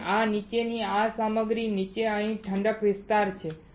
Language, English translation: Gujarati, And below this material below this here there is a cooling,cooling area right